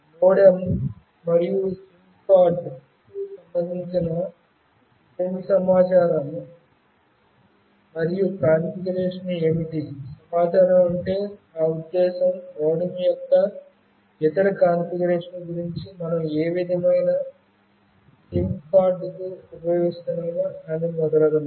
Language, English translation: Telugu, What are the following information, information and configuration pertaining to MODEM and SIM card what is the information, I mean what kind of SIM card we are using about other configuration regarding the MODEM etc